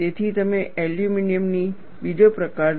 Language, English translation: Gujarati, So, you take up another category of aluminum